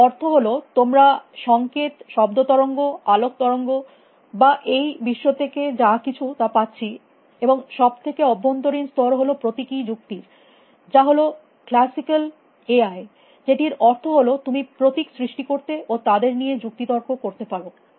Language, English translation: Bengali, It means you are receiving signals, sound waves, light waves or whatever from the world, and the innermost layer is symbolic reasoning which is what is classically AI is what all about that you can create symbol systems and reason with them